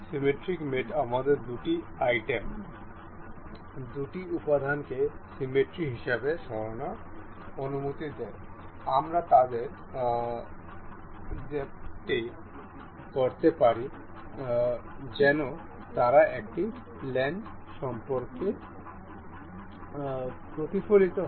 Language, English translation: Bengali, Symmetric mate allows us to move two items, two elements as as a symmetry, we can couple them as a as if they were as if they were mirrored along a mirror; along a plane sorry